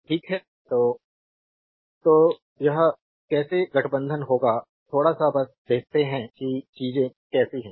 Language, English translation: Hindi, So, how we will combine this here we will little bit little bit you just see how things are right